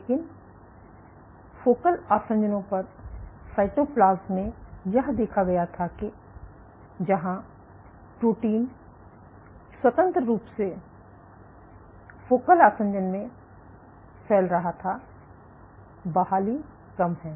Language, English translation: Hindi, But at focal adhesions at focal this was observed in the cytoplasm where the protein was freely diffusing in focal adhesion it is recovery in what less ok